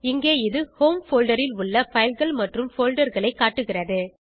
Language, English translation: Tamil, Here it is displaying files and folders from the Home folder